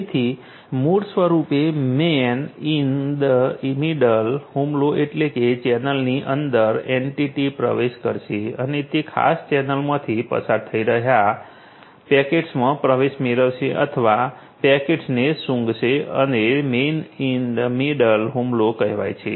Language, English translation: Gujarati, So, basically man in the middle attack means within the channel you know the entity is going to get in and basically get access to is going to sniff in the packets that passing through that particular channel that is the man in the middle attack